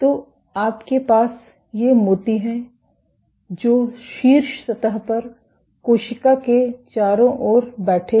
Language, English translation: Hindi, So, you have these beads sitting in an around the cell, on the top surface